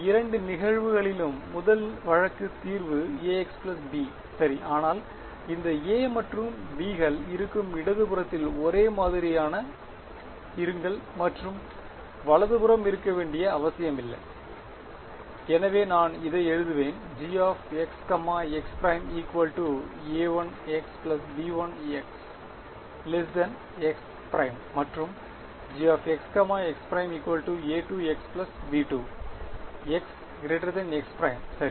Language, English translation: Tamil, The first case in both cases the solution is A x plus B right, but will these A’s and B’s be the same on the left and right need not be right, so I will write it as A 1 x plus B 1 and A 2 x plus B 2 ok